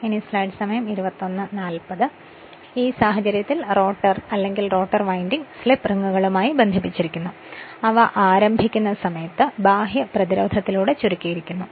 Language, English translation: Malayalam, So, in this case the rotor or rotor winding is connected to slip rings which are shorted through your external resistance at the time of starting